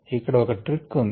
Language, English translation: Telugu, now there is a trick here